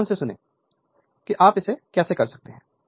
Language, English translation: Hindi, Just listen carefully that how you can do it